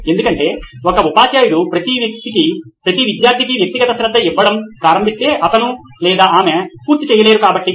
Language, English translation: Telugu, Because if a teacher would start giving individual attention to each and every student he or she would not be able to complete, so it would be